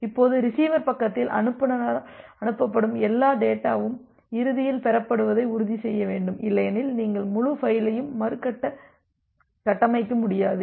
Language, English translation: Tamil, Now, at the receiver end you need to ensure that all the data that is send by the sender that is received eventually otherwise you will not be able to reconstruct the entire file